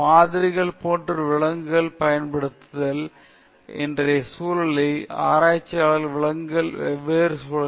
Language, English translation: Tamil, Using animals as models there are different ways researchers use animals in todayÕs context